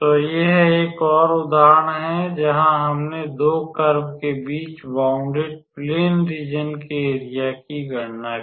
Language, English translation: Hindi, So, this is another example where we calculated the area of a plane region bounded between 2 curves